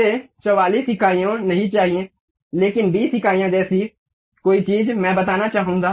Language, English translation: Hindi, I do not want 44 units, but something like 20 units, I would like to really specify